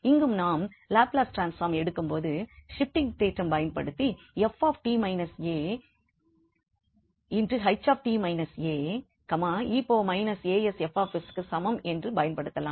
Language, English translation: Tamil, So, here also we can use this while taking the Laplace transform there we can use the shifting theorem f t minus a H t minus a is equal to e power minus a s F s